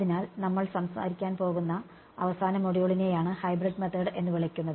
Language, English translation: Malayalam, So, the final module that we are going to talk about are what are called Hybrid methods ok